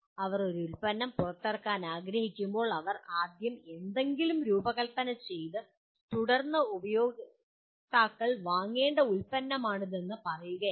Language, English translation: Malayalam, Whenever they want to release a product, they first do not design something and then say this is the product which the customers have to buy